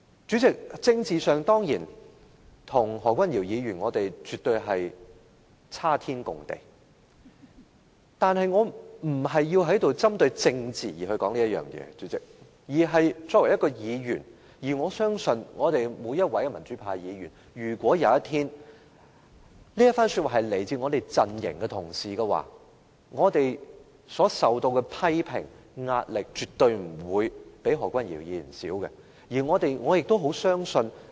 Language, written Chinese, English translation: Cantonese, 主席，在政治上，我們與何君堯議員絕對有雲泥之別，但我並非要針對政治而在此說出這一番話，而是作為一位議員，我相信每一位民主派議員在這一番話一旦出自我們陣營的同事時，我們所受到的批評和壓力絕對不會亞於何君堯議員。, President politically speaking there is definitely a huge difference between us and Dr Junius HO but I am not trying to politicize anything by saying all these . Instead as a Member of this Council I firmly believe that if the same speech is made by a fellow Member from our camp the criticisms and pressure faced by every pro - democracy Member will absolutely not second to those faced by Dr Junius HO